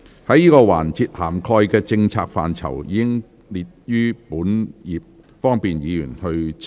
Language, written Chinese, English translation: Cantonese, 這個環節涵蓋的政策範疇，已載列於本頁，方便議員參閱。, The policy areas covered in this session have been set out on this page for Members easy reference